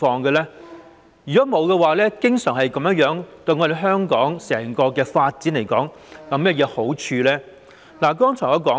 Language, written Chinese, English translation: Cantonese, 如沒有，以致經常做成滯後的情況，對香港整體發展有甚麼好處呢？, If Hong Kong always lags behind other places because of a lack of such a mechanism will this do any good to the overall development of Hong Kong?